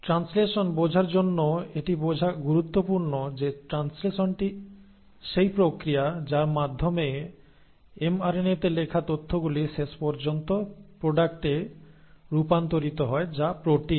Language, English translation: Bengali, So to understand translation it is important to understand that translation is the process by which the information which is written in mRNA is finally converted to the product which are the proteins